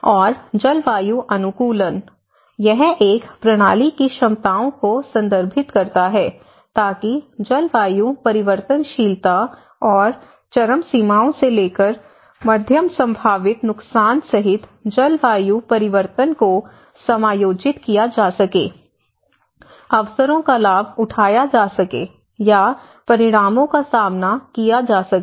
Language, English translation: Hindi, And climate adaptation; it refers to the abilities of a system to adjust to a climate change including climate variability and extremes to moderate potential damage, to take advantage of opportunities, or to cope up with the consequences